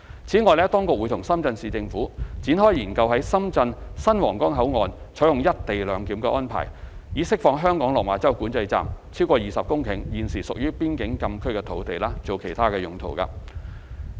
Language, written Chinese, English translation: Cantonese, 此外，當局會與深圳市政府展開研究在深圳新皇崗口岸採用"一地兩檢"安排，以釋放香港落馬洲管制站超過20公頃現時屬邊境禁區的土地作其他用途。, Besides the Government will explore with the Shenzhen Municipal Government on the implementation of co - location arrangements at the new Huanggang Port in Shenzhen so as to release over 20 hectares of land in Hong Kongs Lok Ma Chau Control Point which is now part of FCA for other uses